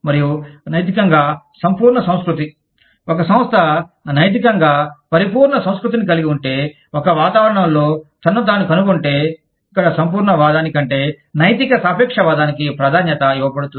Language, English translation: Telugu, And, if an ethically absolutist culture, a company, that has an ethically absolutist culture, finds itself in an environment, where ethical relativism is prioritized over absolutism